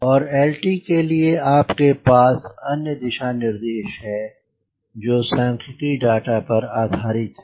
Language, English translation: Hindi, and for lt you have another guideline there is on statistical data